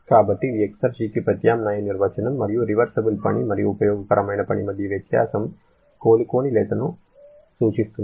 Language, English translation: Telugu, So, this is an alternate definition of the exergy and the difference between reversible work and useful work refers the irreversibility